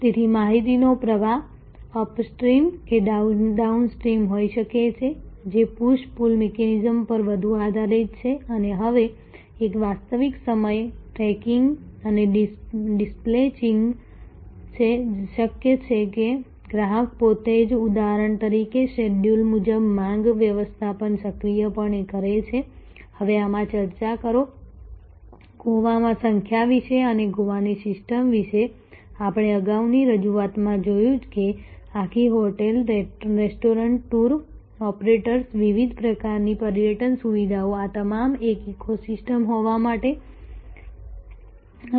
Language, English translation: Gujarati, So, flow of information, upstream, downstream is now more based on push pull mechanism and there is a real time tracking and dispatching is now, possible a demand management is proactively done by the customer themselves schedule in just as the example, that we will discuss in this now, about number in Goa and the Goa system as we saw in a previous presentation is that whole hotels restaurants tour operators different types of excursion facility these are all for being one ecosystem